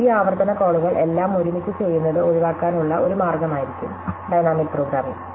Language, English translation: Malayalam, And dynamic programming will then be a way to avoid doing these recursive calls all together